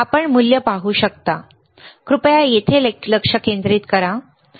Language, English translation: Marathi, You can see the value can you see the value here can you please focus here